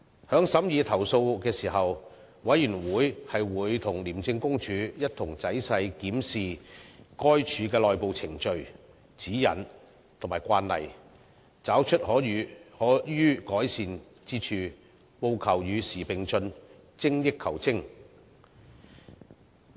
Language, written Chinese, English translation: Cantonese, 在審議投訴時，委員會會與廉政公署一同仔細檢視該署的內部程序、指引和慣例，找出可予改善之處，務求與時並進，精益求精。, In considering the complaints the Committee and ICAC have carefully examined relevant internal procedures guidelines and practices of ICAC to identify room for improvement through their updating refinement and rationalization